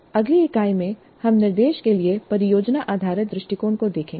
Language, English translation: Hindi, So in the next unit we look at project based approach to instruction